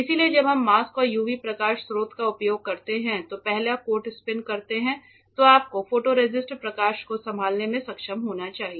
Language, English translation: Hindi, So, after we spin coat before we use a mask and a UV light source you need to be able to handle the photoresist light